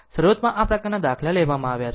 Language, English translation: Gujarati, Initially, I have taken these kind of example